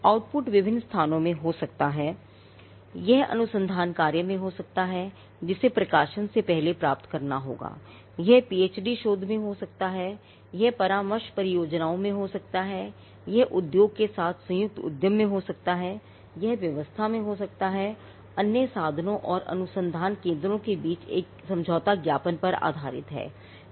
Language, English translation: Hindi, Now, the output can be in different places it could be in research work which has to be found before publication it could be in PhD theses, it could be in consultancy projects, it could be in joint venture with industry, it could be in arrangement based on an MOU between other institutions and research centres